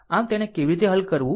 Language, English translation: Gujarati, Right, how to solve it